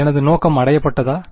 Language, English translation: Tamil, Is my objective achieved